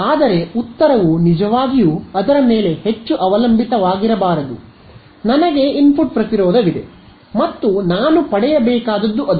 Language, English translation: Kannada, But the answer should not really depend too much on that, I there is input impedance and that should that is what I should get